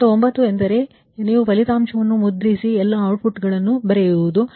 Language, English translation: Kannada, step nine means you printout the result, write all the outputs, right